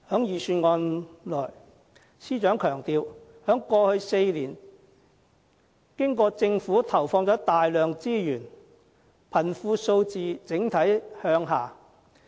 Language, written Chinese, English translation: Cantonese, 司長在預算案裏強調，在過去4年經過政府投放大量資源後，貧窮數字整體向下。, The Financial Secretary stresses in the Budget that the Government has devoted substantial resources in the past four years resulting in an overall decline of poverty figures